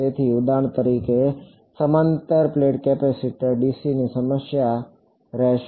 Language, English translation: Gujarati, So, for example, parallel plate capacitor, a dc problem